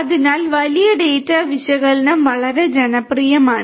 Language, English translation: Malayalam, So, big data analytics is very popular